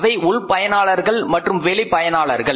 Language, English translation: Tamil, Internal users and external users